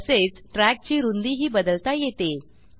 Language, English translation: Marathi, It is also possible to change the track width